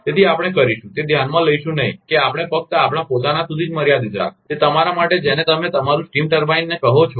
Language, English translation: Gujarati, So, we will, that will not consider that we only restrict to ourself, to the your what you call steam turbine